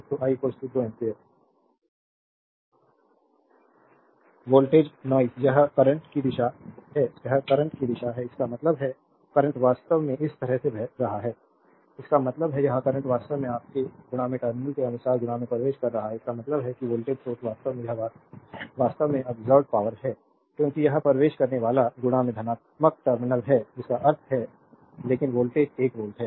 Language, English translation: Hindi, So, I is equal to 2 ampere right 2 ampere [vocalized noise and this is the direction of the current, this is the direction of the current; that means, the current actually flowing like this; that means, this current actually entering into this per your plus terminal ; that means, the voltage source actually this is actually it absorbed power because it is a entering into the positive terminal that means, but voltage is 1 volt